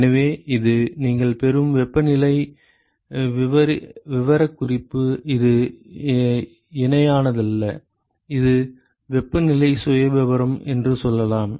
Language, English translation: Tamil, So, this is the temperature profile that you would get it is not parallel let us say this is the temperature profile ok